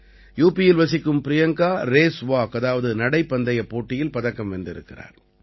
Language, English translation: Tamil, Priyanka, a resident of UP, has won a medal in Race Walk